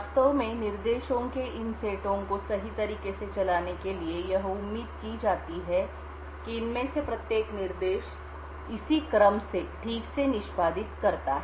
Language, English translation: Hindi, In order to actually run this these set of instructions in a correct manner or what is expected is that each of these instructions execute in precisely this order